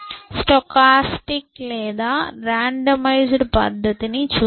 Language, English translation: Telugu, Let us look at stochastic or randomized method